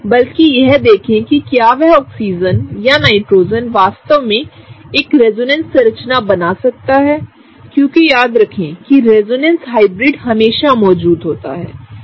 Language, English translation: Hindi, But rather look at whether that particular Oxygen or Nitrogen, can it really form a resonance structure because remember resonance hybrid always exist, right